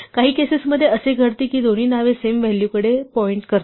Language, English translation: Marathi, In some cases it does happens that both names end up pointing to the same value